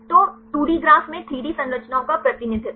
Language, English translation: Hindi, So, the representation of 3D structures into 2D graph